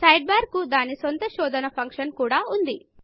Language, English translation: Telugu, The Sidebar even has a search function of its own